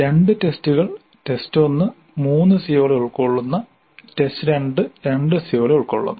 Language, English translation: Malayalam, There are two tests, test one and test two and the test one covers three COs CO1, CO2 CO3 and test 2 covers 2 CO2 CO2 CO3